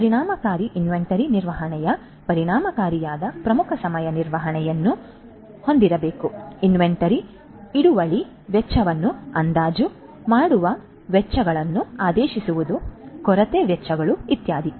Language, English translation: Kannada, So, effective inventory management should have effective lead time management, estimating the inventory holding costs, ordering costs, shortage costs etcetera and classification of inventories these are the requirements for effective inventory management